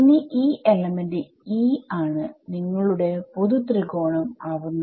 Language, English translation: Malayalam, So, now, this element e is that is something that is going to be very general right, this is going to be your very general triangle